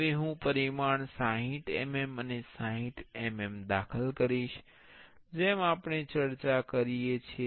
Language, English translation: Gujarati, Now, the dimension I will enter 60 mm and 60 mm as we discussed